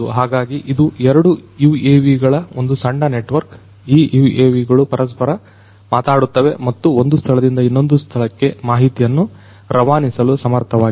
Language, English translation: Kannada, So, these two UAVs, it is a small network these two UAVs are able to talk to each other and are able to pass information from one point to the other